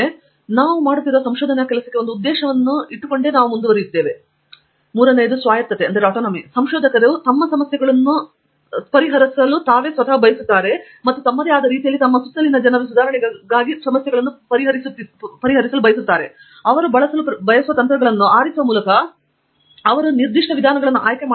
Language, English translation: Kannada, So, we see a larger purpose for the work that we are doing and then Autonomy, researchers want to solve their problems and the problems for the betterment of people around them in their own way, by choosing the techniques that they wish to use, by choosing the specific methodologies that they wish to adopt, etcetera